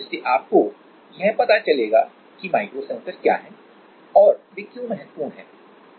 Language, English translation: Hindi, So, you will have an idea about what are micro sensors and why are they important